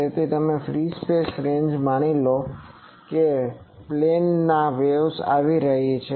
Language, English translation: Gujarati, So, in free space ranges you assume that there are plane waves coming